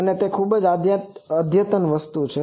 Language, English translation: Gujarati, This is a very modern thing